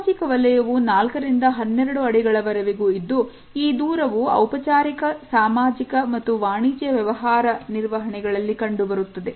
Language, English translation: Kannada, Social zone is from 4 to 12 feet, which is a distance which is reserved for formal social and business transactions